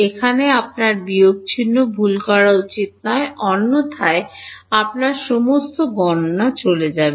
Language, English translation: Bengali, Here you should not make minus sign mistake otherwise all your computation is gone